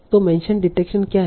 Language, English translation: Hindi, So that is the mention detection part